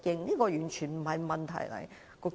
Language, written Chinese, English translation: Cantonese, 這完全不是問題。, This is not a problem at all